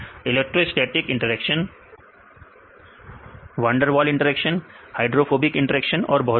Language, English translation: Hindi, Electrostatic interactions, van der Waals interactions, hydrophobic interactions so on